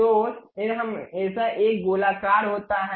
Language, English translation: Hindi, So, head always be a circular one